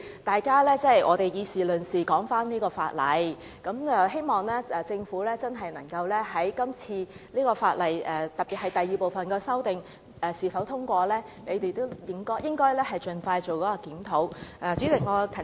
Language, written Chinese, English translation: Cantonese, 大家以事論事，繼續討論這項法例，希望條例草案在今天通過之後，不論第二部分的修正案是否獲得通過，政府也會盡快進行檢討。, We can concentrate on the discussion . Continue to discuss this ordinance . I hope that after the passage of the Bill today no matter the second group of amendment is passed or not the Government will expeditiously conduct a review